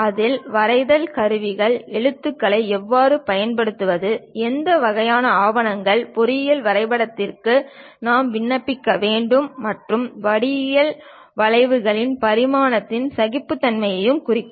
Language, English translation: Tamil, In that we know about drawing instruments how to use lettering, and what kind of papers, layouts we have to use for engineering drawing, and representing geometrical curves dimensioning and tolerances we will cover